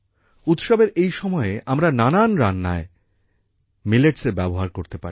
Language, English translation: Bengali, In this festive season, we also use Millets in most of the dishes